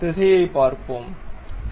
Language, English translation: Tamil, Let us look at the direction, ok